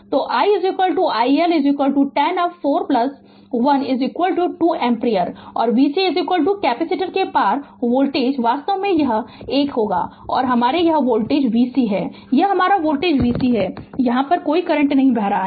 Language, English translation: Hindi, So, i is equal to i L is equal to 10 up on 4 plus 1 is equal to 2 ampere and v C is equal to voltage across the capacitor is actually this is this 1 your this is your voltage v C this is your voltage v C no current is flowing here